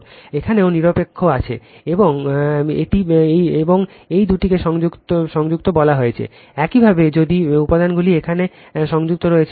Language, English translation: Bengali, Here also neutral is there and this two are say connected, you know elements are connected here